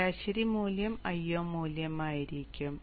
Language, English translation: Malayalam, Average value will be the i